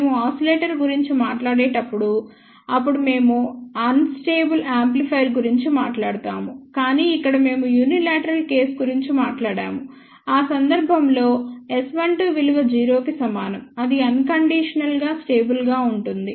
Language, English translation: Telugu, When we talk about oscillator, then we will talk about unstable amplifier, but here we talked about unilateral case in that case S 12 is equal to 0 that would be unconditionally stable